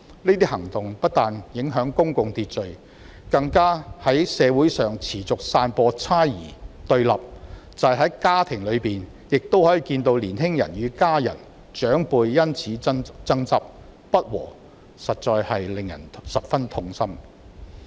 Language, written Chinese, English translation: Cantonese, 這些行動不但影響公共秩序，更在社會上持續散播猜疑和對立，即使在家庭中亦可以看到，年輕人與家人和長輩因此事爭執及不和，實在令人十分痛心。, These actions not only affect public order but also keep spreading suspicion and confrontation in society . We can even see that in family youngsters argue with their family members and elders over this issue . This is indeed heartrending